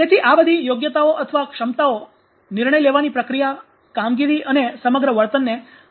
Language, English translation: Gujarati, So, this all these competences or abilities have affected that the decision making process performance and behavior as the whole